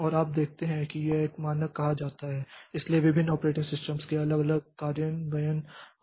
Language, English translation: Hindi, And you see that this is said to be a standard and so different operating systems may have different implementations of them